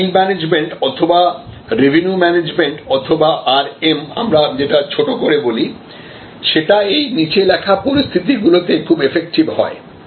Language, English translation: Bengali, This yield management or revenue management or RM as we call it in short is most effective in the following conditions